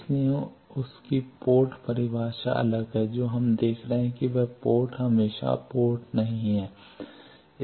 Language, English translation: Hindi, So, his port definition is different what we are seeing is port is not always is port